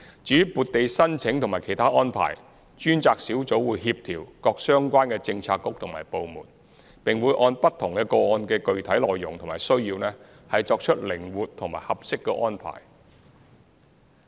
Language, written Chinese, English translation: Cantonese, 至於撥地申請和其他安排，專責小組會協調各相關的政策局和部門，並會按不同個案的具體內容和需要作出靈活和合適的安排。, Concerning the application for land allocation and other arrangements the task force will coordinate with the relevant bureaux and departments and will come up with flexible and appropriate arrangements according to the specific details and needs of different cases